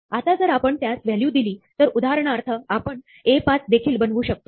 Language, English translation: Marathi, Now, if we do provide it a value, then, for instance, we can even make sense of ÒA5Ó